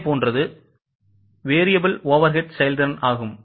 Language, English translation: Tamil, So, this is variable overhead variance